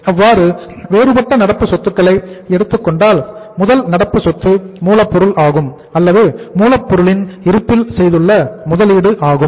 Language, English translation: Tamil, So we have to take now the different current assets and if you take the different current assets, first current asset is raw material or the investment in the say raw material stock